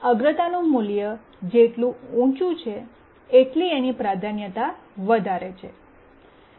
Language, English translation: Gujarati, So the higher the priority value, the higher is the priority